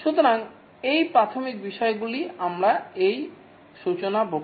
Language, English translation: Bengali, So, these are the basic topics we will discuss in this introductory lecture